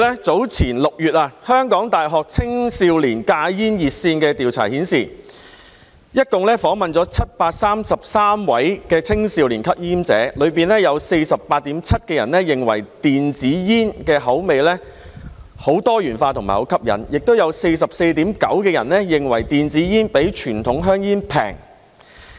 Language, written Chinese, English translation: Cantonese, 早前6月香港大學青少年戒煙熱線的調查合共訪問了733位青少年吸煙者，當中有 48.7% 認為電子煙的口味很多元化和很吸引，亦有 44.9% 認為電子煙比傳統香煙便宜。, In an earlier survey conducted by the University of Hong Kong Youth Quitline in June a total of 733 young smokers were interviewed . Among them 48.7 % considered the flavours of e - cigarettes very diverse and appealing while 44.9 % found e - cigarettes cheaper than conventional cigarettes